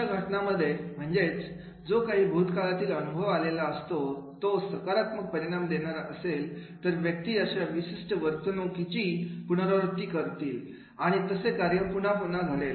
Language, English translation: Marathi, In this case, it means that that is whatever is the past experience, if there has been the positive consequences, then the person will be repeating that particular behavior and repetitive nature of that task will be done